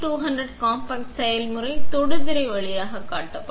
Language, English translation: Tamil, The processes of the MA200 compact can be controlled via touch screen